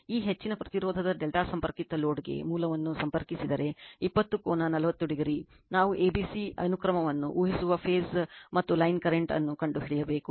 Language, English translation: Kannada, If the source is connected to a delta connected load of this much of impedance, 20 angle 40 degree we have to find out the phase and line current assuming abc sequence